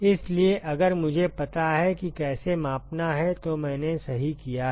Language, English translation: Hindi, So, if I know how to measure that I am done right